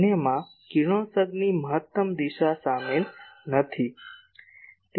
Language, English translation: Gujarati, The others are not containing maximum direction of radiation